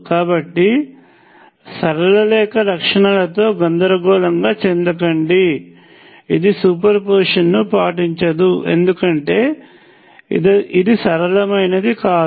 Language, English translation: Telugu, So, do not be confused by the straight line in the characteristics it is not linear, because it does not obey superposition